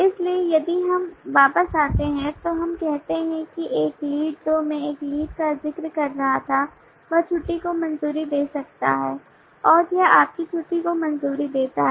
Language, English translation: Hindi, so if we come back we can say that a lead this is what i was referring to a lead can approve leave and what does it approve his leave